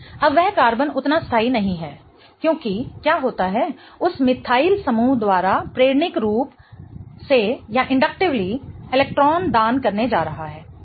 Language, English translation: Hindi, Now, that carbon is not as stable because what happens is there is going to be an inductively electron donation by that methyl group right